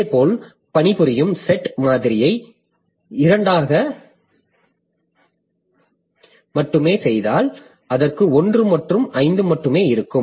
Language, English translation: Tamil, Similarly, if I make the working set model only two, so it will have only one and five